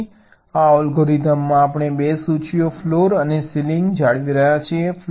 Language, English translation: Gujarati, so in this algorithm we are maintaining two lists: floor and ceiling